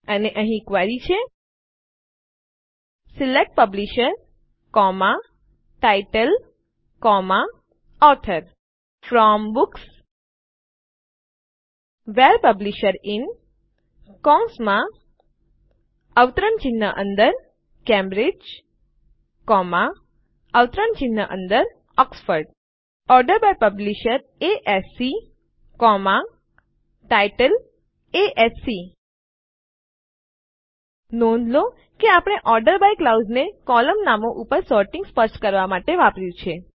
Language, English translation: Gujarati, And here is the query: SELECT Publisher, Title, Author FROM Books WHERE Publisher IN ( Cambridge, Oxford) ORDER BY Publisher ASC, Title ASC So notice we have used the ORDER BY clause to specify Sorting on column names